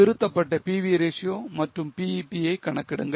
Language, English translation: Tamil, Compute the revised PV ratio and BEP